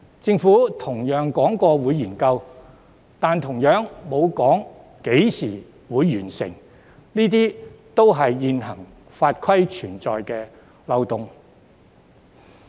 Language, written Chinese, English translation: Cantonese, 政府同樣說過會進行研究，但同樣沒有提出會在何時完成，這些也是現行法例存在的漏洞。, The Government also said that a study would be conducted but no completion date has been suggested . These are also the loopholes in the existing legislation